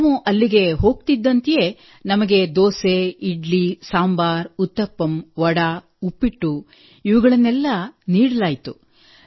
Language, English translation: Kannada, So as soon as we went there we were served Dosa, Idli, Sambhar, Uttapam, Vada, Upma